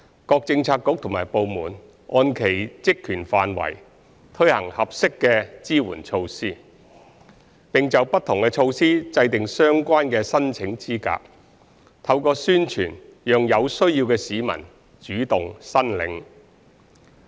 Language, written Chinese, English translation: Cantonese, 各政策局及部門按其職權範圍推行合適的支援措施，並就不同措施制訂相關的申請資格，透過宣傳讓有需要的市民主動申領。, Bureaux and departments BDs have been implementing appropriate support measures in accordance with their areas of responsibility . BDs have devised relevant eligibility criteria and publicized these measures to enable the needy to come forward to apply